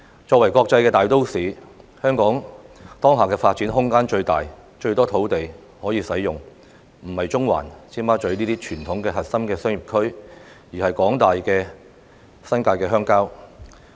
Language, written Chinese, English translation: Cantonese, 作為國際大都市，香港當下的發展空間最大，有最多土地可以使用，我所指的並不是中環或尖沙咀等傳統核心商業區，而是指廣大的新界鄉郊地區。, As far as Hong Kong as an international metropolitan is concerned it is the vast expanses of rural land in the New Territories which will provide the biggest room for development and the biggest area of land for use I am not talking about such traditional core business districts such as the Central or Tsim Sha Tsui